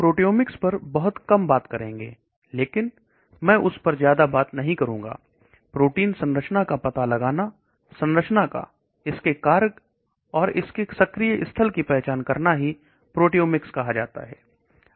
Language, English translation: Hindi, We will talk little bit on proteomics, but I will not talk too much on that trying to identify the protein structure, 3 dimensional structure its function and its active site that is all called proteomics